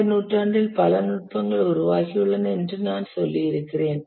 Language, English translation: Tamil, As I was saying that over the century many techniques have got developed